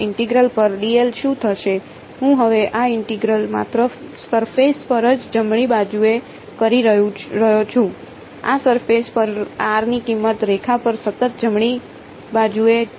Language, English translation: Gujarati, What will this integral over I am now doing this integral only on the surface right, on this surface the value of r is constant right on the line rather